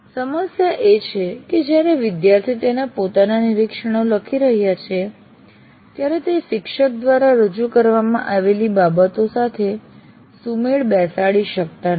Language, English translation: Gujarati, And the problem is, while you are writing your own observations, you may go out of sync with what is being presented by the teacher